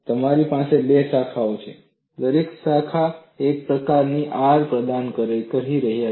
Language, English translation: Gujarati, You have two branches; each branch is providing a resistance R